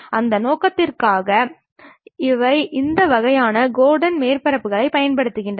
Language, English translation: Tamil, For that purpose these kind of Gordon surfaces will be used